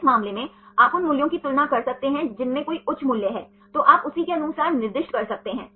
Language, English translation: Hindi, In this case you can compare the values which one has high values, then you can assign accordingly